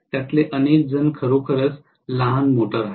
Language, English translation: Marathi, Many of them are really really small motors